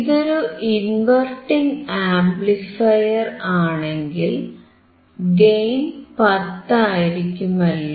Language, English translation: Malayalam, If it is inverting amplifier, it will be 10, right